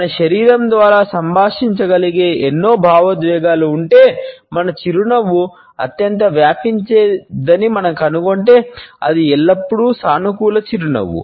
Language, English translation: Telugu, If all emotions which can be communicated by our body, we find that our smile is the most contagious one, it almost always is a positive smile